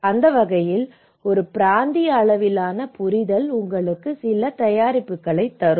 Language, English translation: Tamil, So, in that way a regional level understanding will give you some preparation